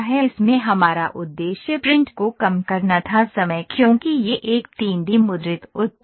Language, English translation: Hindi, Our purpose in this was to reduce the print time because this is a 3D printed, 3D printed, 3D printed product